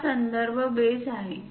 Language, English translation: Marathi, This is the reference base